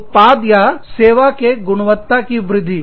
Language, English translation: Hindi, Enhancing product, and or, service quality